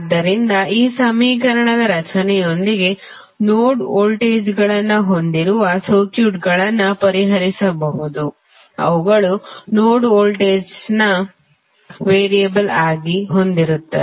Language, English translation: Kannada, So, with this equation creation you can solve the circuits which are having node voltages, which are having node voltages as a variable